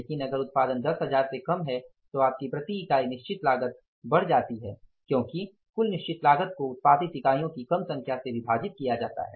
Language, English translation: Hindi, But if it is less than 10,000 production and sales your fixed cost per unit increases because the total fixed cost will be divided by the less number of units produced